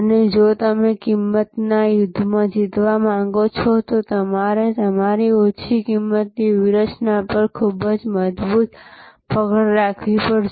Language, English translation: Gujarati, And if you want to win in the price war, you have to have a very strong handle on your low costs strategy